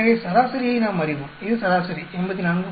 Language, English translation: Tamil, So we know the average, this is the average 84